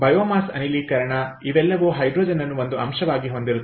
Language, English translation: Kannada, biomass gasification so all these have hydrogen as an element, right